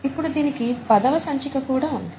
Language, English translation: Telugu, Now we are in the tenth edition